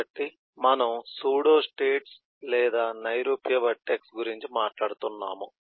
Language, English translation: Telugu, so, moving on, we are talking about pseudostates or abstract vertex